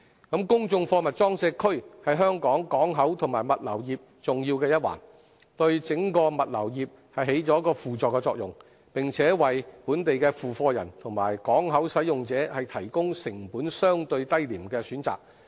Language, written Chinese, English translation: Cantonese, 公眾貨物裝卸區是香港港口及物流業重要的一環，對整個物流業起輔助作用，並為本地付貨人和港口使用者提供成本相對低廉的選擇。, Public Cargo Working Areas PCWAs play an important part in the development of the port and logistics industry of Hong Kong . They provide support to the entire logistics industry and offer alternative choices for local shippers and port users at relatively low costs